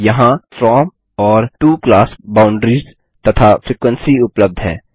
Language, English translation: Hindi, the From and to class boundaries and frequency is available here